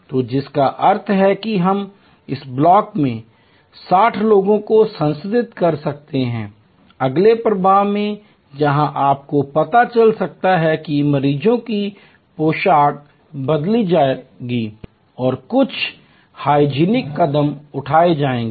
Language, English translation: Hindi, So, which means at the most we can process 60 people in this block, in the next flow where there may be you know the patients dress will be changed and certain hygienic steps will be done